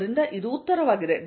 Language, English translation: Kannada, So, this is the answer